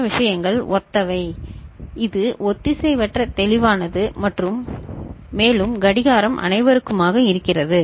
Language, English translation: Tamil, Other things are similar right and this is asynchronous clear and you know, and clock is common to all of them fine